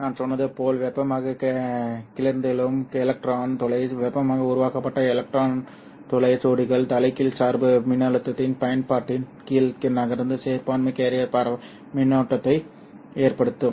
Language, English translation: Tamil, As I said, thermally agitated electron hole pairs will drift under the application of the reverse bass voltage causing a minority carrier diffusion current which causes dark current